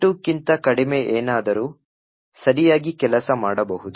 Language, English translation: Kannada, Anything less than 72 could work correctly